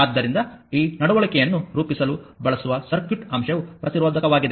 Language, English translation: Kannada, So, circuit element used to model this behavior is the resistor